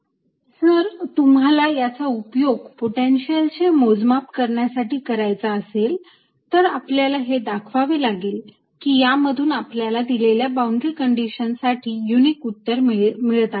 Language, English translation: Marathi, if you want to use these to calculate potential, we should be able to show that these gives unique answers given a boundary condition